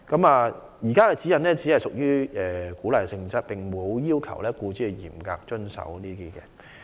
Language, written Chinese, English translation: Cantonese, 現時的指引只屬鼓勵性質，沒有要求僱主嚴格遵守。, The existing guidelines are of an encouragement nature and they do not require strict compliance among employers